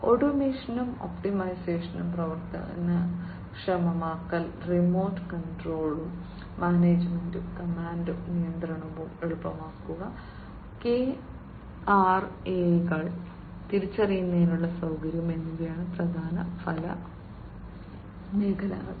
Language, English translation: Malayalam, Enabling automation and optimization, remote control and management, ease of command and control, and facilitation of the identification of the KRAs, are the key result areas